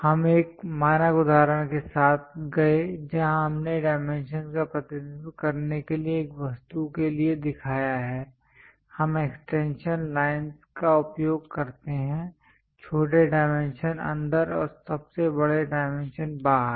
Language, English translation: Hindi, We went with a standard example where we have shown for an object to represent dimensions, we use the extension lines, smallest dimensions inside and largest dimensions outside